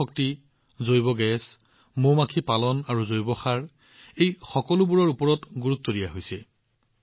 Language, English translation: Assamese, There is complete focus on Solar Energy, Biogas, Bee Keeping and Bio Fertilizers